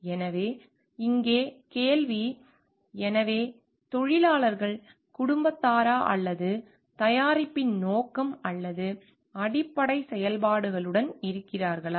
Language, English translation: Tamil, So, the question here it is; so, are the workers family or with the purpose or basic functions of the product